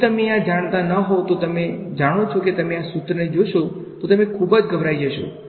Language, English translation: Gujarati, If you did not know this you know you might look at this expression and feel very scared what